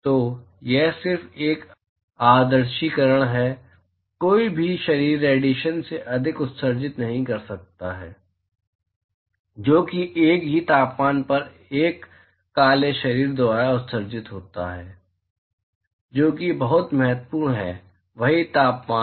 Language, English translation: Hindi, So, it is just an idealization, no body can emit more than the radiation, that is emitted by a Black body at the same temperature, that is very important, same temperature